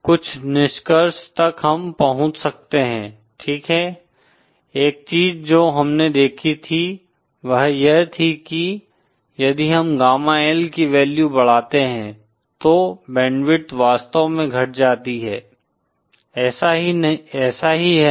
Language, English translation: Hindi, Some of the conclusions we can reach is ,okay, one thing that we saw was that, if we keep increasing the value of gamma L then the band width actually decreases, Isn’t it